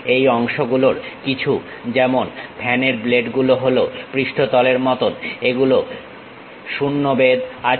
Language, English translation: Bengali, Some of the parts are surface like fan blades these are having 0 thickness